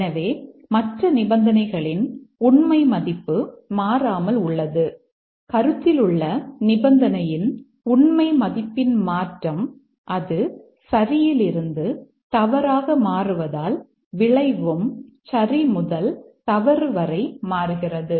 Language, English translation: Tamil, So, the other conditions, truth value of other conditions remaining constant, a change of the truth value of the condition under consideration as it toggles from true to false, the outcome toggles from true to false